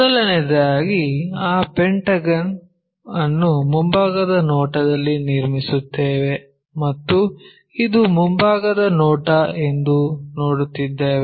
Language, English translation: Kannada, So, first of all construct that pentagon in the front view and we are looking this is the front view